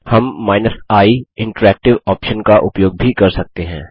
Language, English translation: Hindi, We can use the i option with the mv command